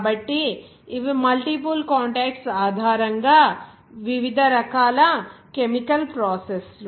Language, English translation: Telugu, So, these are the various chemical processes based on multiple contacts